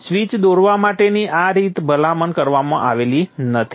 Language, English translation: Gujarati, This is not a recommended way of drawing the switch